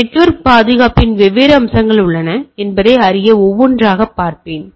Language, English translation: Tamil, So, will look at step one by one that what are the different aspects of the network security right